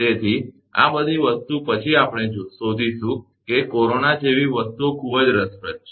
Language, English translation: Gujarati, So, after all these thing we will find things are very interesting like corona